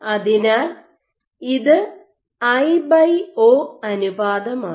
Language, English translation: Malayalam, So, this is a i by o ratio